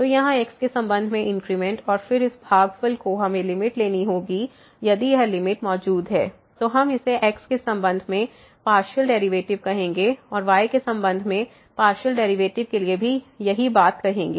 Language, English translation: Hindi, So, here the increment with respect to x and then, this quotient we have to take the limit if this limit exists, we will call it partial derivative with respect to and same thing for the partial derivative of with respect to